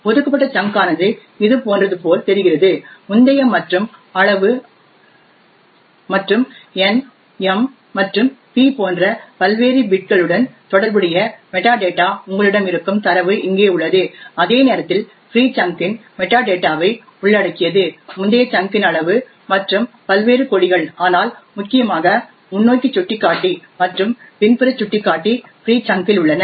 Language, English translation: Tamil, The allocated chunk looks something like this do you have the metadata over here corresponding to previous and the size and the various bits like n and p and you have the data which is present here while the free chunk comprises of the metadata as before the previous chunk and the size and the various flags but importantly we have the forward pointer and the back pointer present in the free chunk